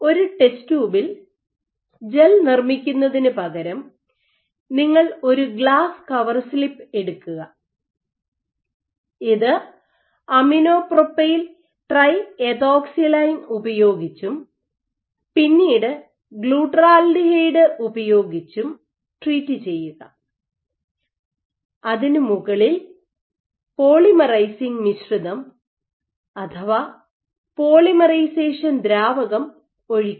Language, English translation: Malayalam, So, instead of making the gel in a test tube what you do is you take a glass cover slip you functionalize you treat this with aminopropyltriethoxysilane and then with the glutaraldehyde, on top of which you dump your polymerizing mixture polymerization solution